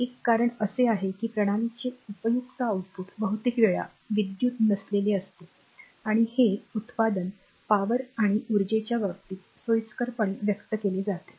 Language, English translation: Marathi, One reason is that useful output of the system often is non electrical and this output is conveniently expressed in terms of power and energy